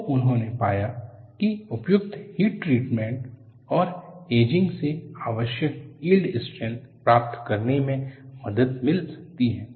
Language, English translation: Hindi, So, they find suitable heat treatment and ageing can help to achieve the required yield strength